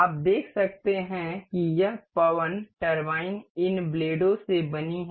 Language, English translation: Hindi, You can see this this wind turbine is made of these blades